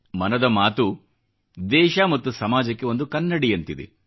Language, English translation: Kannada, 'Mann Ki Baat'is like a mirror to the country & our society